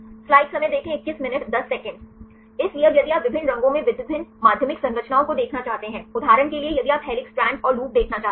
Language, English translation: Hindi, So, now if you want to see the different secondary structures in different colors; for example, if you want to see the helix strand and the loop